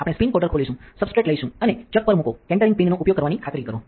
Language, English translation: Gujarati, We will open the spin coater, take a substrate and place on the chuck make sure to use the centering pins